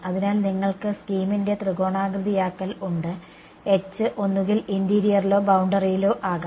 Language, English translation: Malayalam, So, you have your triangulation of the scheme and the h could either be in the interior or on the boundary